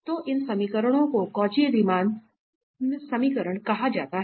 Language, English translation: Hindi, So, these equations are called the Cauchy Riemann equations